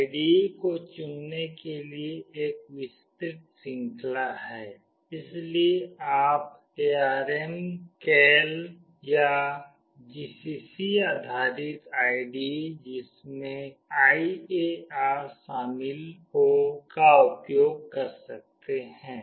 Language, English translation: Hindi, There is a wide range of choice of IDE, so you can also use ARM Keil or GCC based IDE’s including IAR